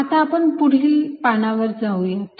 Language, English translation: Marathi, lets go to the next page